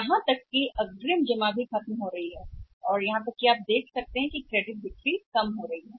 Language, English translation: Hindi, So even advance deposits are going down over that is and even you see this credit sales are also going down